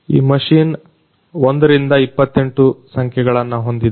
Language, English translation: Kannada, This machine has numbers from 1 28